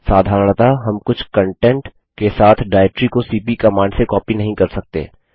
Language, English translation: Hindi, Normally we cannot copy a directory having a some content directly with cp command